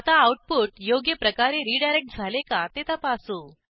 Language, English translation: Marathi, Now let us check whether the output is redirected correctly